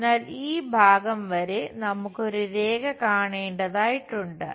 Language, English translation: Malayalam, So, up to this part, we have to see a line